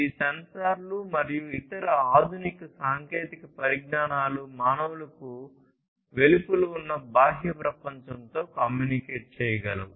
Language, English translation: Telugu, These sensors and different other advanced technologies are able to communicate with the outside world that means outside the human beings